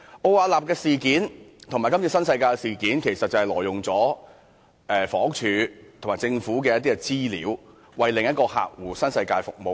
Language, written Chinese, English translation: Cantonese, 奧雅納事件和今次新世界的事件，其實是關於前者挪用房屋署和政府的資料，為其另一個客戶新世界服務。, The incident of Ove Arup Partners Arup and this incident of NWD are actually about the illegal use of information of the Housing Department HD and the Government by the former to serve NWD its other client